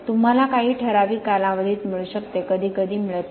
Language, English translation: Marathi, You can get in certain periods, sometimes you do not